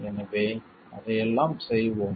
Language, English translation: Tamil, So, we will try to do this